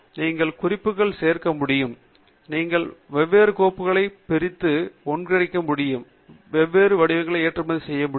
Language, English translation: Tamil, You should be able to add notes, you should be able to split and merge different files, should be able to export different formats